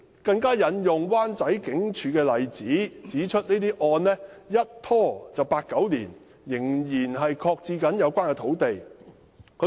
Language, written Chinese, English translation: Cantonese, 她更引用灣仔警署的例子，指出個案一拖便拖了八九年，有關土地的發展仍然擱置。, She further cited the case of the Wan Chai Police Station saying that the case had dragged on for eight to nine years and the development of the site was still shelved